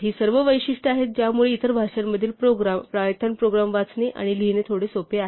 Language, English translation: Marathi, These are all features that make python programs a little easier to read and write then programs in other languages